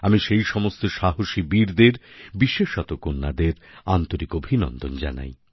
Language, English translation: Bengali, I congratulate these daredevils, especially the daughters from the core of my heart